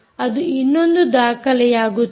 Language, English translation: Kannada, that again is another document